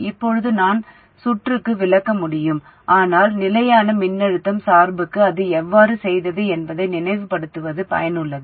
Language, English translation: Tamil, Now I can just explain to the circuit but it's useful to recall how we did it for the constant voltage biasing